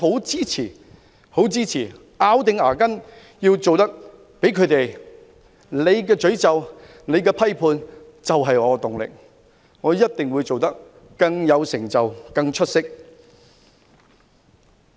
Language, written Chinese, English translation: Cantonese, 因此，我們要咬緊牙關，他們的詛咒和批判就是我們的動力，我們一定要做得比他們更有成就和更出色。, Hence we must hang on . Their curses and criticisms are our driving force . Our achievement must be greater and more remarkable than theirs